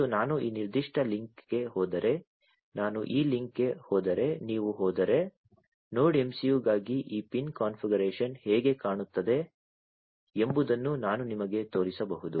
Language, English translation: Kannada, And if you go to if I go to this link if I go to this particular link, I can show you how this pin configuration looks like for the Node MCU